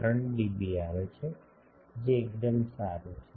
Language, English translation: Gujarati, 3 dB which is quite good